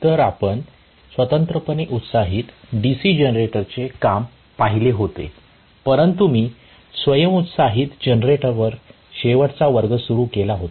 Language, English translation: Marathi, So, we had seen the working of a separately excited DC generator but last class I had started on self excited generator